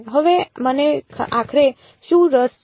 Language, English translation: Gujarati, Now what am I finally interested in